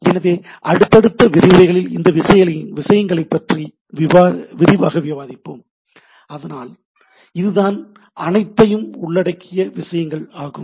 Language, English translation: Tamil, So, will discuss these things in details in the subsequent lectures or some subsequent talks, but this is our all encompassing things